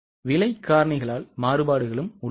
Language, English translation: Tamil, There are also variances because of price factors